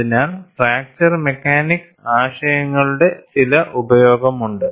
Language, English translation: Malayalam, So, there fracture mechanics would not be of much use